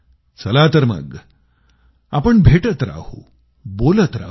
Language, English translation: Marathi, Let us keep on meeting and keep on talking